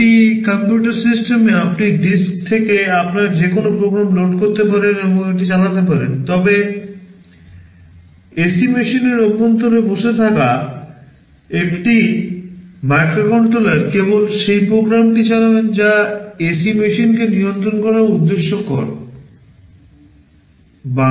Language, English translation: Bengali, In a computer system you can load any program you want from the disk and run it, but a microcontroller that is sitting inside an AC machine will only run that program that is meant for controlling the AC machine